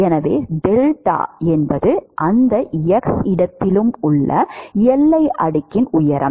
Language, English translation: Tamil, So, delta is the height of the boundary layer at any x location